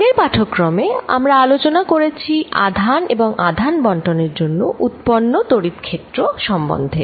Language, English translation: Bengali, In the previous lectures, we have discussed the Electric Field due to Charges and Charge Distributions